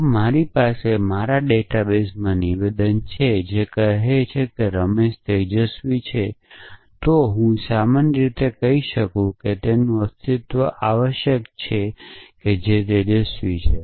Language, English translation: Gujarati, So, if I have the statement in my database, which says is Ramesh is bright, then I can generalized to say that their exist someone who is bright essentially